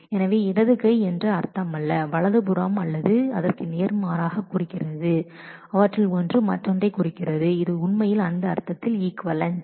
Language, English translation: Tamil, So, it does not mean that the left hand side implies the right hand side or vice versa it means that either of them implies the other, they are really equivalent in that sense